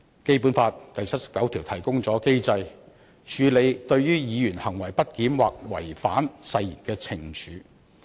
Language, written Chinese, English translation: Cantonese, 《基本法》第七十九條提供機制處理對於議員"行為不檢或違反誓言"的懲處。, Article 79 of the Basic Law provides a mechanism to deal with the punishment of a Member for his misbehaviour or breach of oath